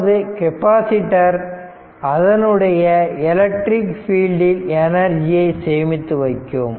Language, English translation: Tamil, So, so that means, that is a capacitors a capacitors stores energy in its electric field right